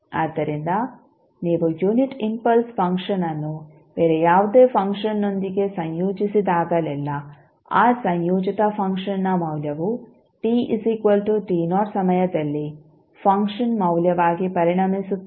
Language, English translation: Kannada, So, whenever you associate unit impulse function with any other function the value of that particular combined function will become the function value at time t is equal to t naught